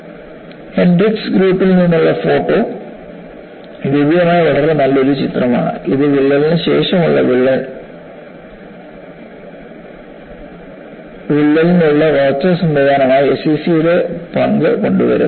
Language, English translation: Malayalam, And the photo courtesies from Hendrix Groups, and this is a very nice picture that was available, that brings in the role of SCC as a growth mechanism for crack followed by fracture